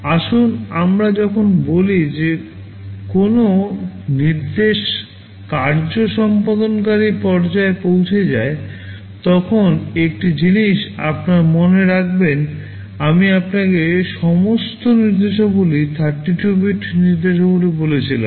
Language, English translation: Bengali, Let us say when an instruction reaches the execute phase, one thing you remember I told you all instructions are 32 bit instructions